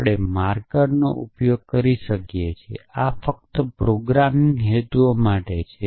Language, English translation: Gujarati, So, we could use a marker this is only for programming purposes